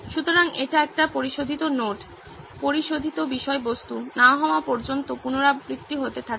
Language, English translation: Bengali, So this gets keeps on getting iterated until it becomes a refined note, refined content